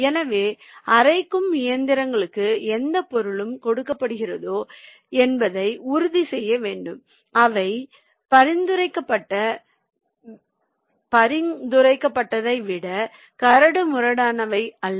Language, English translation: Tamil, so you must ensure that whatever material is being fed to the grinding machines, they are not coarser than the prescribed one